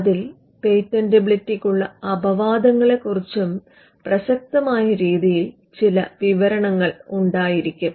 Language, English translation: Malayalam, It would also have some information about exceptions to patentability to the extent they are relevant